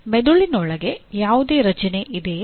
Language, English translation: Kannada, Is there any structure inside the brain